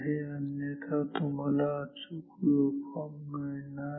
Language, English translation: Marathi, So, this is required otherwise you will not get correct waveform